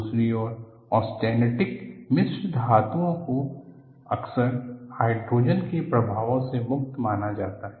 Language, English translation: Hindi, On the other hand, austenitic alloys are often regarded as immune to the effects of hydrogen